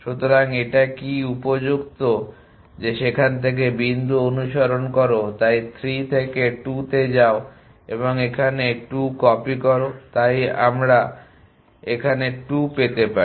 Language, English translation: Bengali, So, what this appropriate that follow the point from there so from 3 go to 2 and copy 2 here so we get 2 here